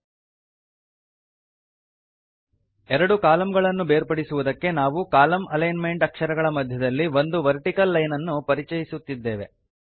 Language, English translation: Kannada, To separate the two columns, we introduce a vertical line between the column alignment characters